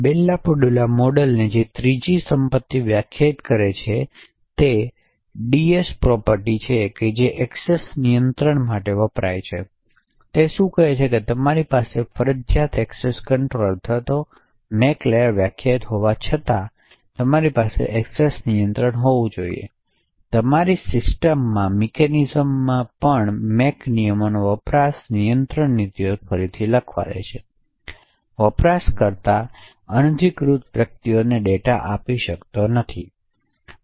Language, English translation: Gujarati, The third property which the Bell LaPadula model defines is the DS property which stands for Discretionary Access control, so what it say is that even though you have a mandatory access control or a MAC layer defined, nevertheless you should still have a discretionary access control mechanism in your system, essentially the MAC rules overwrite the discretionary access control policies, a user cannot give away data to unauthorised persons